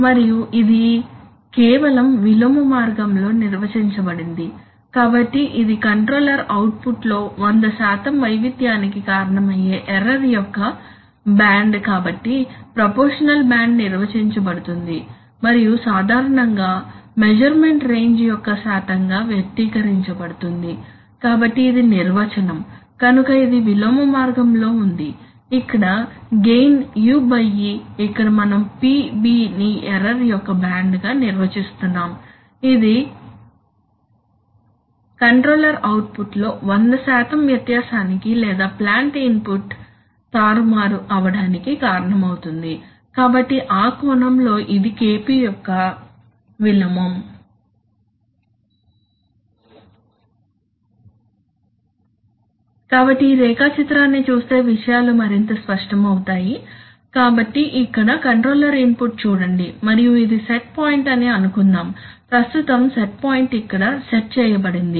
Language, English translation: Telugu, And it is defined in just the inverse way, so proportional band is defined as it is the band of error which in a hundred, which causes, which causes a hundred percent variation in the controller output and generally expressed as a percentage of the range of measurement, so that is the definition, so it is in an inverse way, where gain is u by e, here we are defining PB as the band of error which causes a hundred percent variation in the in the controller output or the manipulated input to the plant, right, so in that sense it is a it is the inverse of KP